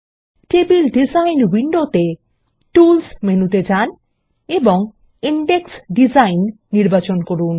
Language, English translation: Bengali, In the table design window, let us go to the Tools menu and choose Index Design